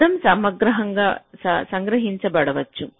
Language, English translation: Telugu, so noise might get captured